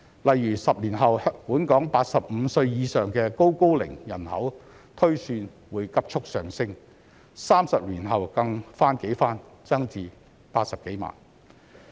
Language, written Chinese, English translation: Cantonese, 例如10年後，本港85歲以上的"高高齡"人口推算會急速上升 ，30 年後更翻幾番增至80多萬人。, For example it is estimated that 10 years later the number of Super - Seniors aged 85 and above in Hong Kong will surge and 30 years later this number will multiply to over 800 000